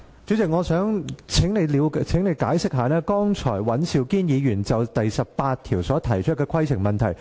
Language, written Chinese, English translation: Cantonese, 主席，我想請你就尹兆堅議員剛才就《議事規則》第18條提出的規程問題作出解釋。, President I wish to seek elucidation from you on the point of order raised by Mr Andrew WAN just now regarding Rule 18 of the Rules of Procedure